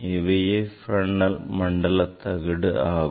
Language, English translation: Tamil, that is the Fresnel s half period zone